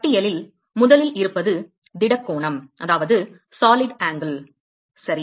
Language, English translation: Tamil, The first on the list is solid angle, ok